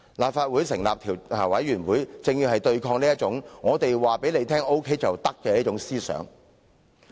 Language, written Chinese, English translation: Cantonese, 立法會成立調查委員會，正正就是要對抗這種"我告訴你 OK 便 OK" 的心態。, The establishment of a select committee by the Legislative Council is to resist such an attitude